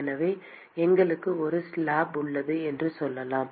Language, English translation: Tamil, So, let us say we have a slab